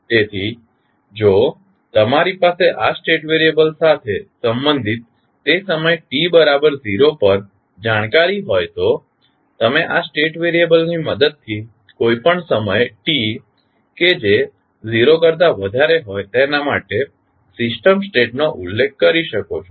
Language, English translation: Gujarati, So, if you have knowledge for related to this state variable at time t is equal to 0 you can specify the system state for any time t greater than 0 with the help of these state variables